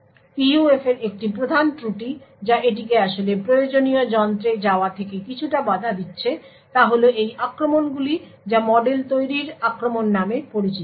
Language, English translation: Bengali, One of the major drawbacks of PUFs which is preventing it quite a bit from actually going to commodity devices is these attacks known as model building attacks